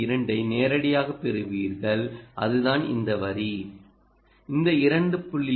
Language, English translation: Tamil, that is this line, this two point two